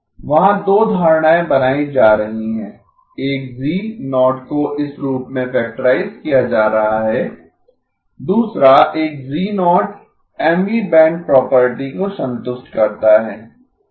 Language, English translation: Hindi, There are two assumptions being made, one is G0 is being factorized into this form, second one G0 satisfying the Mth band property